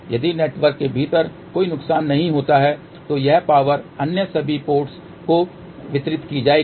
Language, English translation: Hindi, If there is a no loss within the network then this power will get distributed to all the other ports